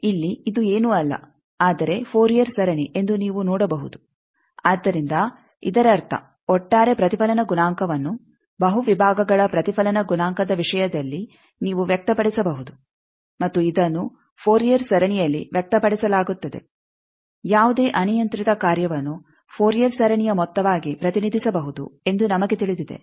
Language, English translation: Kannada, Here you can see that this is nothing, but a Fourier series so; that means, the reflects overall reflection coefficient you can express in terms of reflection coefficient of multiple sections, and this is expressed in a Fourier series we know that any arbitrary function can be represented as sum of a Fourier as a Fourier series